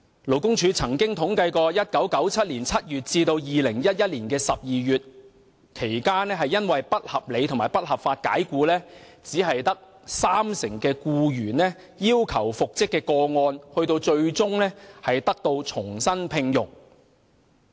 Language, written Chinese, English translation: Cantonese, 勞工處曾統計，在1997年7月至2011年12月期間遭不合理及不合法解僱的僱員中，只有三成要求復職的僱員最終獲重新聘用。, According to the statistics compiled by the Labour Department only 30 % of the employees who were unreasonably and unlawfully dismissed between July 1997 and December 2011 and requested reinstatement were eventually rehired